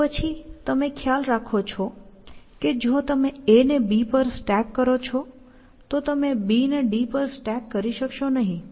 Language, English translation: Gujarati, Then, you want to certainly, realize that if you stack a on to b, you would not be able stack b on to d